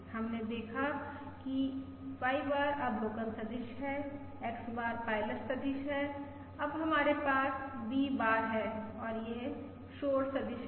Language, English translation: Hindi, We have seen that Y bar is the observation vector, X bar is the pilot vector